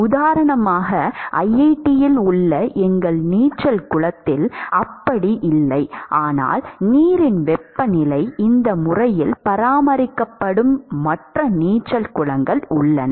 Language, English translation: Tamil, So, for example, not I think it is not the case in our swimming pool in IIT, but there are other swimming pools where the temperature of the water is always maintained